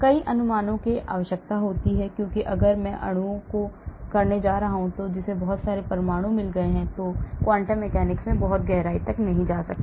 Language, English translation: Hindi, requires many approximations, because if I am going to do molecule which has got 1000s of atoms, I cannot go very deep into the quantum mechanics